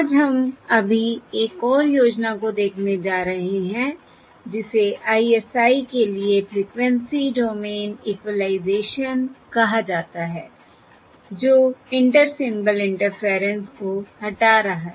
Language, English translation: Hindi, not today we are going to look at yet another scheme, which is termed as Frequency Domain Equalisation for ISI, that is, removing Inter Symbol Interference